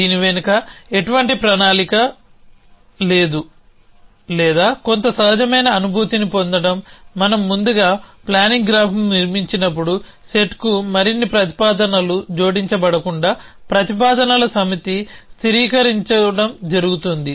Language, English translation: Telugu, There is no plan or to get some intuitive feeling behind this, what happens is that as we construct the planning graph first the set of propositions stabilize that no more propositions added to the set